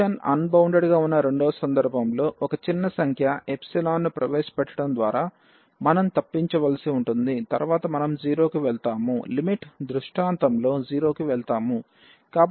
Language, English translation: Telugu, In the second case at the point where the function is unbounded that we have to avoid by introducing a small number epsilon which later on we will move to 0 will go to 0 in the limiting scenario